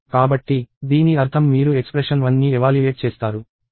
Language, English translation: Telugu, So, the meaning of this is you evaluate expression 1